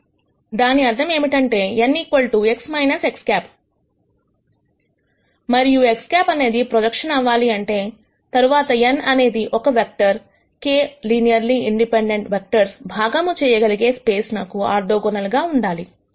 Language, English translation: Telugu, That means, n equal to X minus X hat and if X hat has to be a projec tion, then n has to be a vector that is orthogonal to the space spanned by the k linearly independent vectors